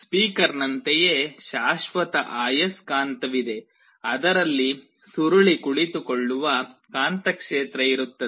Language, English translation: Kannada, Just like a speaker there is a permanent magnet there will be magnetic field in which the coil is sitting